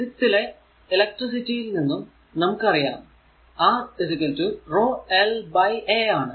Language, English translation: Malayalam, So, we know that from your physics electricity subject, we know that R is equal to rho into l by A, right